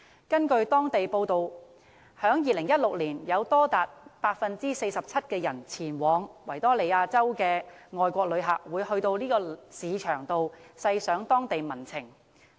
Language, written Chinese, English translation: Cantonese, 根據當地報章報道，在2016年有多達 47% 前往維多利亞州的外國旅客，會到該市場細賞當地民情。, According to a local newspaper in 2016 47 % of foreign visitors to Victoria had visited Queen Victoria Market to appreciate the life of local residents